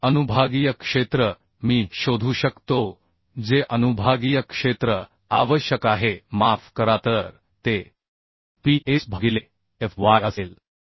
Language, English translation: Marathi, So the sectional area I can find out the sectional area required sorry A so it will be Ps by fy so it will be 255